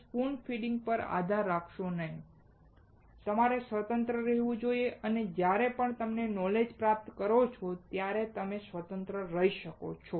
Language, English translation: Gujarati, Do not rely on spoon feeding, you should be independent, and you can be independent only when you acquire knowledge